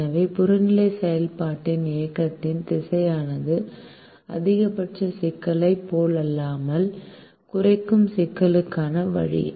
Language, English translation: Tamil, so the direction of movement of the objective function is this way for a minimization problem, unlike in a maximization problem